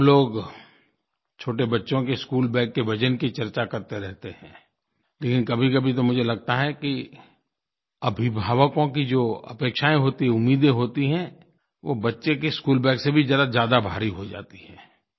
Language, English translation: Hindi, We keep deliberating on the heavy weight of our tiny tots' school bags, but there are times when I feel that expectations and aspirations on the part of parents are far too heavier compared to those school bags